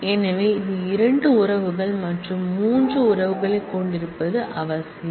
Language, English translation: Tamil, So, necessarily if since this has 2 relations and this has 3 relations